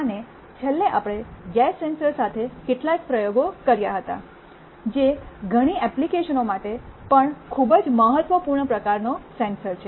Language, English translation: Gujarati, And lastly we had some experiments with gas sensors, which is also very important kind of a sensor for many applications